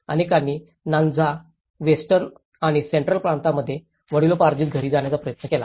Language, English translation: Marathi, Many sought to move to their ancestral homes in Nyanza, Western and Central Provinces